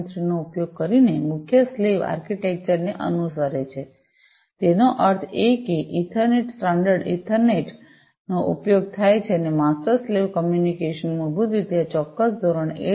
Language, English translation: Gujarati, 3; that means, the Ethernet, the standard Ethernet is used and the master slave communication basically follows this particular standard 802